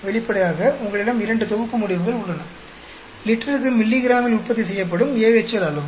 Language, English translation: Tamil, Obviously, you have two sets of results, the amount of AHL produced in milligrams per liter